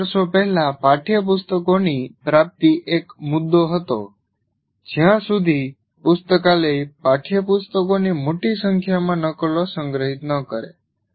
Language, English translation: Gujarati, A few years ago access to textbooks was an issue unless library stores large number of copies